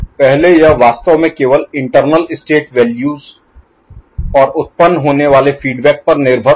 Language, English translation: Hindi, Earlier it was actually involving only from internal state values and the feedback that is getting generated